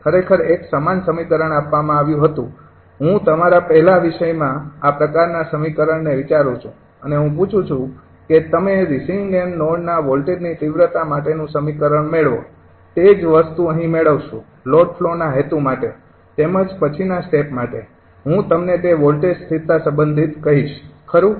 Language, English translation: Gujarati, actually, a similar expression was given, i think, in the very first ah your topic, that this kind of expression and ask, i ask you to derive the expression of the receiving end voltage magnitude, same thing here will make it now, for the purpose of this load flow as well as later step, i will tell you ah regarding that voltage stability, right